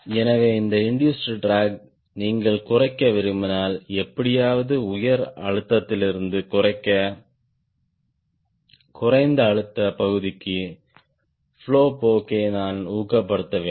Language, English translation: Tamil, so if you want to reduce this induced drag somehow, i should discourage the tendency of the flow from high pressure to lower pressure region